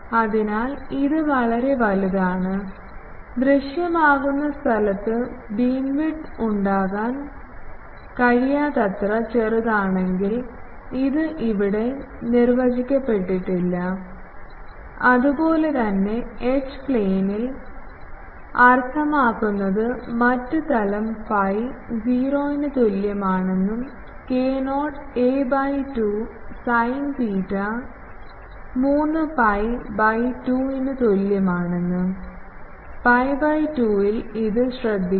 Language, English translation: Malayalam, So, it is a very, when a v is too small for a null to occur in visible space to beamwidth, it is undefined here, similarly in the H plane means the other plane phi is equal to 0 null occurs at k not a by 2 sin theta is equal to 3 pi by 2, please note that at pi by 2